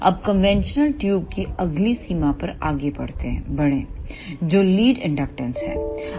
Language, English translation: Hindi, Now, move onto the next limitation of conventional tubes that is lead inductance